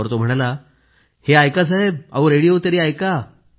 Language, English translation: Marathi, " Said he "Sir, just listen to the radio"